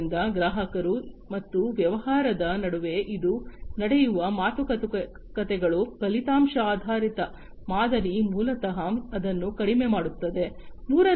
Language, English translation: Kannada, So, between the customers and the business this the negotiations that happen, you know, the outcome based model basically reduces it